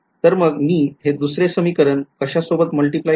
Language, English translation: Marathi, So, I multiply the second equation by what